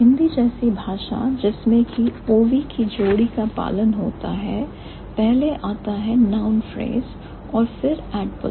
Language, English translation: Hindi, So, in a language like Hindi, which follows the pair of o v, so first comes the noun phrase, then comes the adposition